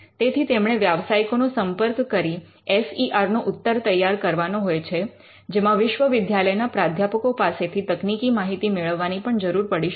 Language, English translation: Gujarati, So, it has to coordinate with the professional to generate the reply to the FER, which mean required technical inputs from the university professors